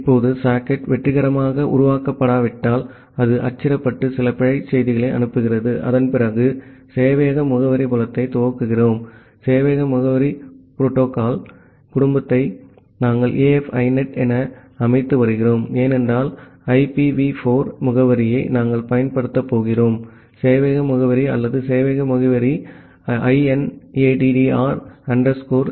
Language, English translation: Tamil, Now if the socket is not created successfully some error message that is getting printed and after that we are initializing the server address field the server address family protocol family we are setting it as AF INET, because we are going to use the IPv4 address followed by the server address or server address we are taking it as INADDR ANY